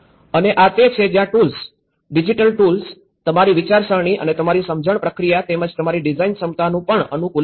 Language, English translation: Gujarati, And this is where how the tools; the digital tools are also conditioning your thinking and your understanding process and also your design ability as well